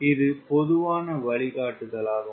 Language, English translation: Tamil, this is general guideline